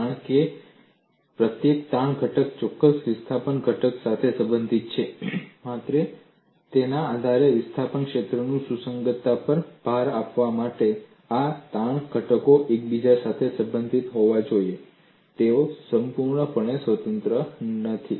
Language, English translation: Gujarati, Because each strain component is related to a particular displacement component based on that only, to emphasize compatibility of displacement field, these strain components have to be inter related; they are not totally independent